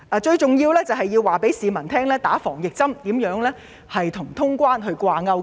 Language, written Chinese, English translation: Cantonese, 最重要的是，政府應告訴市民接種疫苗如何與通關掛鈎。, Most importantly the Government should inform the public of the correlation between vaccination and cross - boundary travel